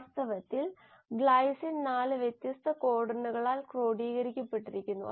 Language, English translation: Malayalam, In fact glycine is coded by 4 different codons